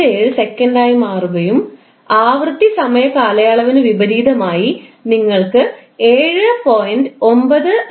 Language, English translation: Malayalam, 157 second and frequency will be opposite to the time period that is you will get 7